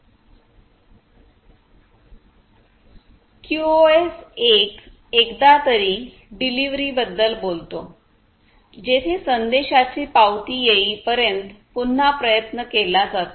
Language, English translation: Marathi, QoS 1: on the other hand, talks about at least once delivery, where retry is performed until the acknowledgement of the message is received